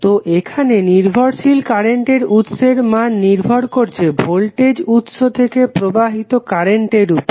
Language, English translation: Bengali, So, here the dependent current source value is depending upon the current which is flowing from the voltage source